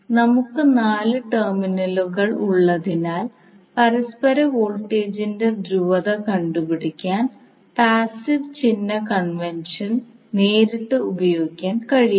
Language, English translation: Malayalam, So since we have four terminals we cannot use the passive sign convention directly to find out the polarity of mutual voltage